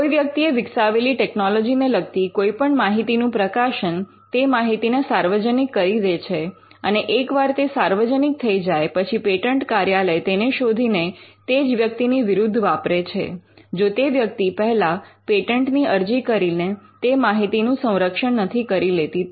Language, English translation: Gujarati, Publication of any information pertaining to the technology that a person is developed will put the information into the public domain and, once it is there the public domain the patent office would search it and use that against the person; if he does not protect first by filing a patent application